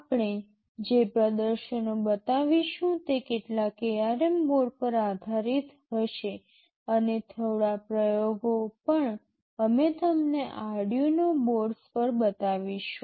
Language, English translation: Gujarati, All the demonstrations that we shall be showing would be based on some ARM board, and also a few experiments we shall be showing you on Arduino boards